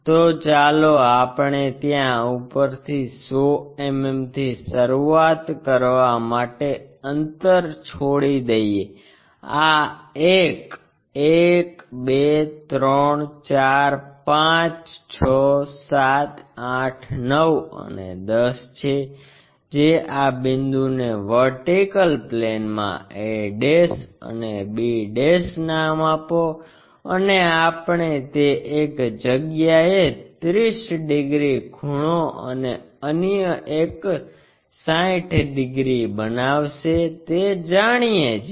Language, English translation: Gujarati, So, let us leave a gap begin from top 100 mm somewhere there, this is one 1 2 3 4 5 6 7 8 9 and 10 here construct that, name this point a' in the vertical plane b' and we know one angle supposed to make 30 degrees other one is 60 degrees